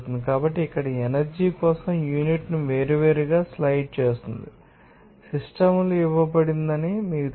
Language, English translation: Telugu, So, here the slides the unit for power at different, you know systems is given